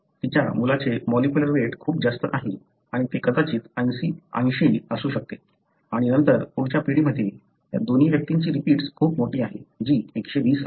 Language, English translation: Marathi, Her son have a much higher molecular weight repeat and that could be probably 80 and then in the next generation, both of them, these two individuals have much larger repeat that is 120